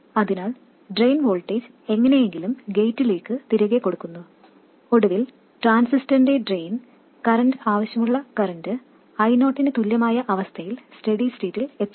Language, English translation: Malayalam, So, the drain voltage is somehow fed back to the gate and finally steady state is reached where the drain current of the transistor equals the desired current I 0